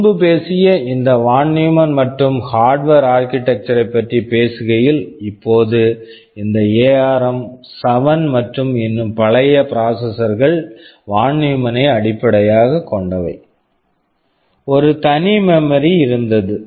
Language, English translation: Tamil, Now talking about this von Neumann and Harvard architecture you already talked about earlier, this ARM 7 and the even older processors were based on von Neumann, there was a single memory